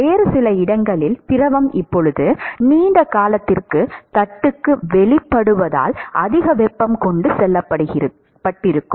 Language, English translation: Tamil, Some other location, because the fluid is now exposed to the plate for a longer period of time, more heat would have got transported